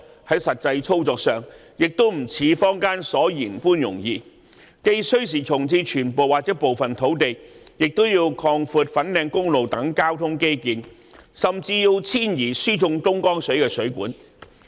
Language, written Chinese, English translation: Cantonese, 在實際操作上亦不像坊間所言般容易，既需時重置全部或部分土地，也要擴闊粉錦公路等交通基建，甚至要遷移輸送東江水的水管。, The actual operation will not be as easy as what is said in the community either . Full or partial reprovisioning of the site will take time . There is also the need to broaden transport infrastructure such as Fan Kam Road and even to relocate the aqueduct for conveying Dongjiang water